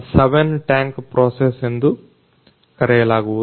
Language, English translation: Kannada, This is called 7 tank process